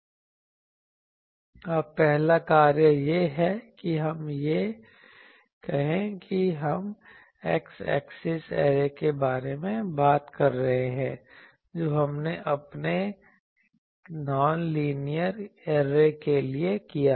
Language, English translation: Hindi, Now, the first task is to put the where is the let us say that we are talking of x axis array, which we did for our non linear array